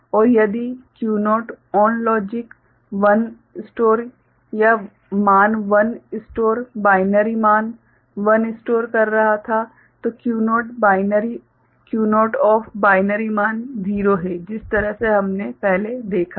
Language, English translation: Hindi, And if Q naught ON was logic 1 stored or value 1 stored, binary value 1 stored, then Q naught OFF is binary value 0 stored the way we have seen before